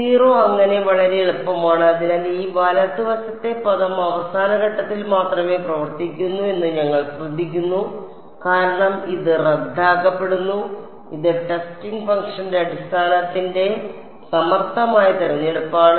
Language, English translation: Malayalam, 0 so, very easy; so, we notice this with this right hand side term comes into play only at the end points because it gets cancelled like this is a clever choice of basis of testing function also right very good